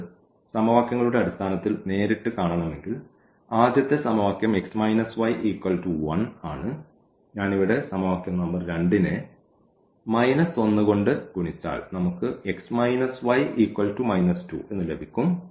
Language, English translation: Malayalam, In terms of the equations if we want to see directly because, the first equation is x minus y is equal to 1 and if I multiply here the equation number 2 by minus 1 we will get x minus y is equal to minus 2